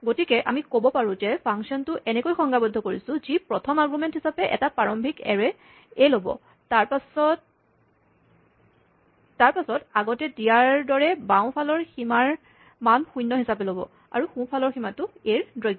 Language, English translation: Assamese, So, it would be tempting to say that, we define the function as something which takes an initial array A as the first argument, and then, by default takes the left boundary to be zero, which is fine, and the right boundary to be the length of A